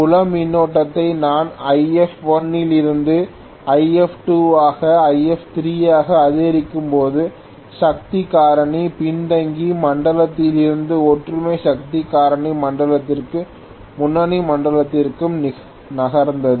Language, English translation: Tamil, So as I increase the field current from IF1 to IF2 to IF3 the power factor moved from the lagging zone to the unity power factor zone to the leading zone